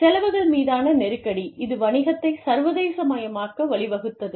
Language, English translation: Tamil, Pressure on costs has led to, the internationalization of business